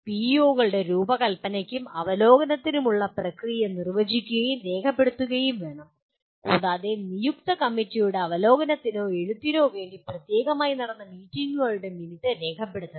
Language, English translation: Malayalam, And the process for design and review of PEOs should be defined and documented and minutes of the meetings held specifically to review or write of the designated committee should be recorded